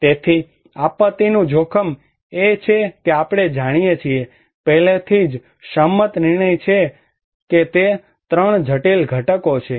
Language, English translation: Gujarati, So, disaster risk is we already know, is already agreed decisions that it is the 3 critical components